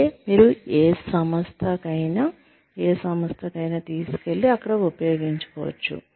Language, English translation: Telugu, That, you can take to, any firm, any organization, and have, and make use of it there